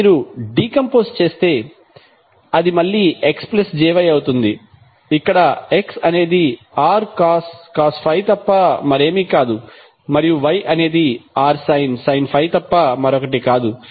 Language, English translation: Telugu, So if you decomposeose it will again will become x plus j y where x is nothing but r cos phi and y is nothing but r sine 5